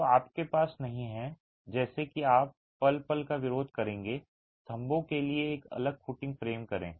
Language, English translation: Hindi, So, you do not have like you would have in a moment resisting frame a separate footing for the columns